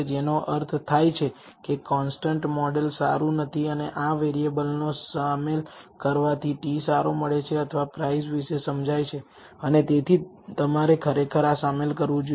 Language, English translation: Gujarati, Which means the constant model is not good and including these variables results in a better t or explanation of the price and therefore, you should actually include this